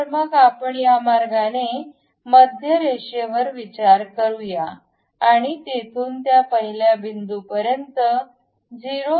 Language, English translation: Marathi, So, let us consider a center line in this way and use smart dimension from here to that first point it is 0